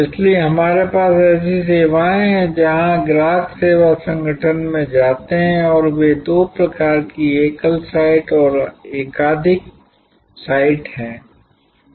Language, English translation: Hindi, So, we have services where customer goes to the service organization and they are there are two types single site and multiple site